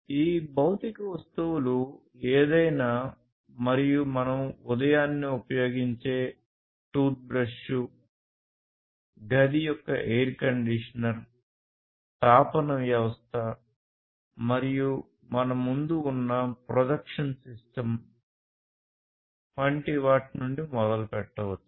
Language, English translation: Telugu, These physical objects could be anything and everything that we can think of starting from things like, the toothbrushes which we use very early in the morning, to the air conditioner of the room, to the heating system, the projection system, in front of us